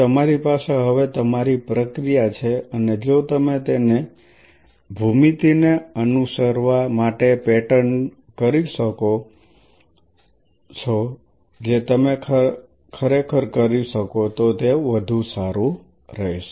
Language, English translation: Gujarati, So, you have the process in front of you now and if you can pattern them to follow a geometry that will be even better if you can really do that